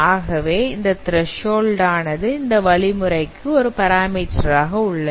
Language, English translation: Tamil, So that threshold is also a parameter to this algorithm